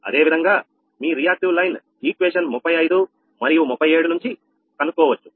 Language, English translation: Telugu, similarly, your reacting line flows we calculated from equation thirty five and thirty seven